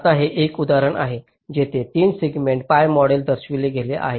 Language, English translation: Marathi, ok, now this is an example where three segment pi model is shown